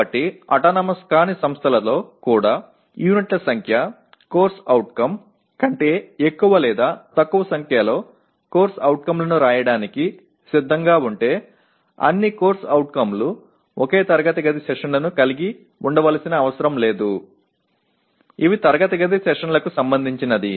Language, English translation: Telugu, So roughly even in non autonomous institutions if one is willing to write more or less number of COs than the number of units, the CO, all COs need not have the same number of classroom sessions, okay